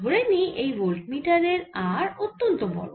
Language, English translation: Bengali, let's take for voltammeter, r is very large